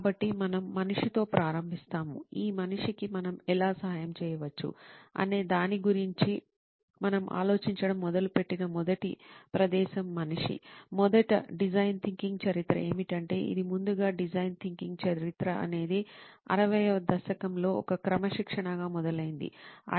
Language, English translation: Telugu, So where we start is the human, the human is the first place where we start thinking about how can we help this person, first the history of design thinking is that it started off as a discipline may be in the 60s, ideo